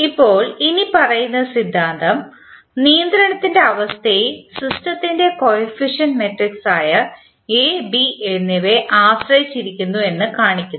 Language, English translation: Malayalam, Now, the following theorem shows that the condition of controllability depends on the coefficient matrices A and B of the system